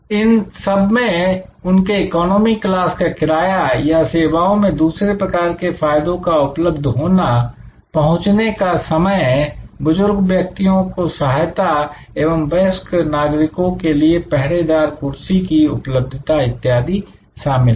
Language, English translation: Hindi, So, these are all their economy class pricing or their service kind of other benefits available, check in time or assistance for aged and senior citizens, availability of wheelchair and so on